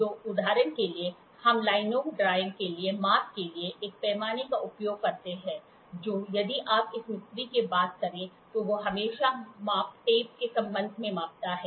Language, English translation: Hindi, So, for example, we use a scale for measurement for drawing line, for and if you talk to a mason he always measures with respect to a measuring tape